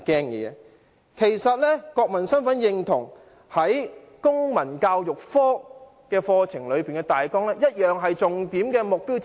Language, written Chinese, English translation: Cantonese, 然而，國民身份認同其實在公民教育科的課程大綱同樣是重點目標之一。, As a matter of fact one of the main objectives under the curriculum guide of civic education is also to enhance students sense of national identity